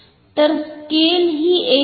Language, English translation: Marathi, So, the scale is non uniform